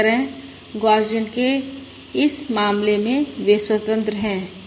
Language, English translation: Hindi, Similarly, in this case of Gaussian, they are independent